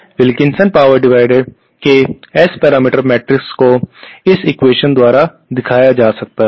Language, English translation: Hindi, The S parameter matrix of this Wilkinson power divider can be given by this equation